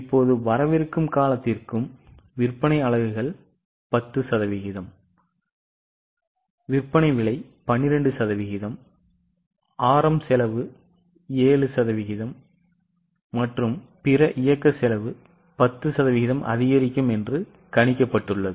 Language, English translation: Tamil, Sales units likely to increase by 10% sale price 12%, RM cost 7% and other operating costs by 10%